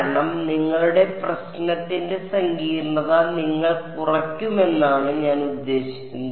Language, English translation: Malayalam, Because I mean that way you reduce your the complexity of your problem ok